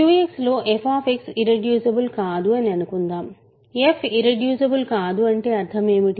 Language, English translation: Telugu, Suppose f X is not irreducible in Q X, what is the meaning of f not being irreducible